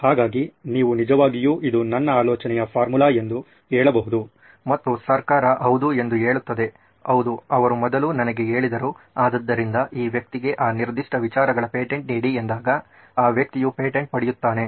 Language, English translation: Kannada, So to speak, you can actually say this is my idea and the government says yes, yes he told me first, he told us first so this guy gets the patent of that particular ideas